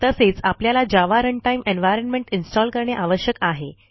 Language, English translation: Marathi, You will also need to install Java Runtime Environment which you can download at the following link